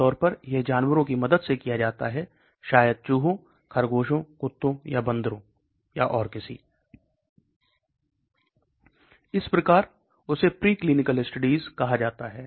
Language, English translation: Hindi, Normally, that is done in with the help of animals maybe rats, rabbits, dogs or monkeys and so on that is called preclinical studies